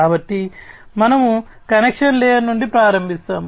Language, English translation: Telugu, So, we will start from the very bottom connection layer